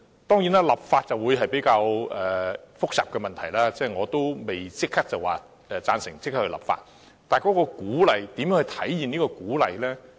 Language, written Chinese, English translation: Cantonese, 當然，立法是較為複雜的問題，我不會贊成立即立法，但如何體現這種鼓勵呢？, Of course legislation is a more complex issue and I do not agree with enacting legislation immediately but how can this kind of encouragement be manifested?